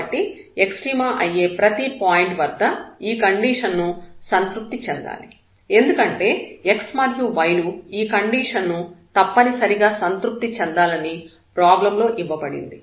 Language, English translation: Telugu, So, whatever point is the point of extrema this condition has to be satisfied because, that is given in the problem that the relation x and y must be satisfied with this relation